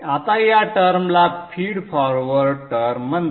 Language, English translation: Marathi, So this is called feed forward term